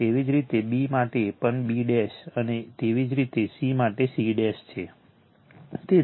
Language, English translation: Gujarati, Similarly, for b also b dash, and similarly for c c dash right